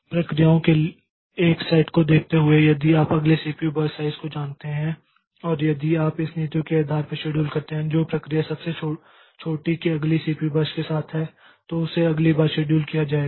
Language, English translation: Hindi, Given a set of processes and if you know the next CPU burst sizes and if you schedule based on this policy that is the process with the smallest next CPU burst will be scheduled next